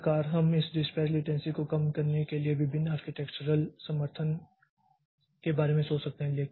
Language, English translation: Hindi, So, that way we can think about different architectural support for this reducing this dispatch latency